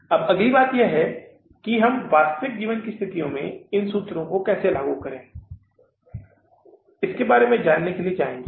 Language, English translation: Hindi, Now the next thing is we will go for learning about that how to apply these formulas in the real life situation for working out these variances